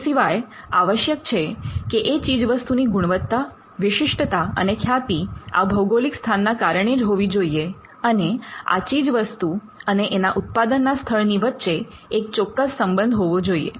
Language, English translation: Gujarati, The qualities characteristics or reputation of that product should be essentially due to the place of origin and there has to be a clear link between the product and it is original place of production